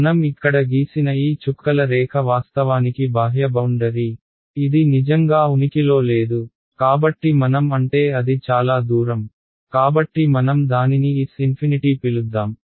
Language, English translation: Telugu, This dotted line that I have drawn over here is the outermost boundary which actually it does not really exist, so I am I mean it is far away, so let us just call it S infinity